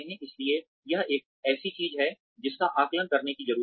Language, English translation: Hindi, So, that is something, one needs to assess